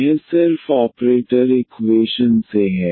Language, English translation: Hindi, This is from just from the operator equation